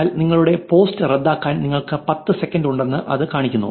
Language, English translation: Malayalam, But it showing you that you have ten seconds to cancel your post